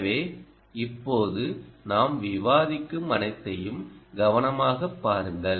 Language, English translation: Tamil, ok, so look carefully at everything that we discuss now